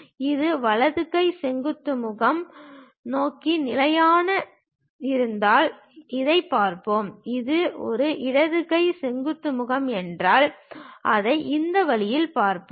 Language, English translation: Tamil, If it is right hand vertical face the orientation, then we will see this one; if it is a left hand vertical face, we will see it in this way